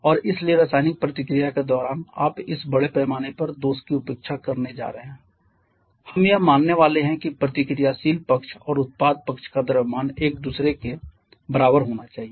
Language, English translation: Hindi, And therefore in during chemical reaction you are going to neglect this mass defect we are going to assume that the mass of the reactant side and product side has to be equal to each other